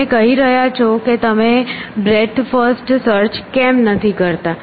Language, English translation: Gujarati, So, you are saying why do not you do breadth first search